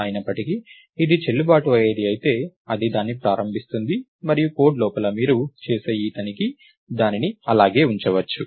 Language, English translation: Telugu, However, if its valid, it initializes it and this check that you do inside the code may just leave it as it is